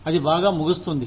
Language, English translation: Telugu, All is well, that ends well